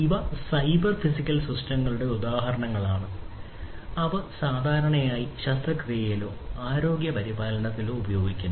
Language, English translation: Malayalam, These are examples of cyber physical systems and they are used in surgery or healthcare, in general